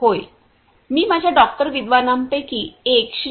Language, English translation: Marathi, Yes I will request one of my doctor’s scholars Mr